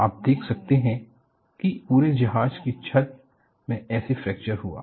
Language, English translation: Hindi, You can see how the entire deck has fractured